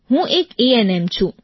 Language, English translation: Gujarati, I am an ANM Sir